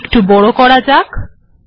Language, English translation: Bengali, I can make it bigger